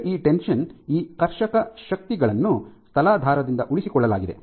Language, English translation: Kannada, So, that this tension, these tensile forces are sustained by the substrate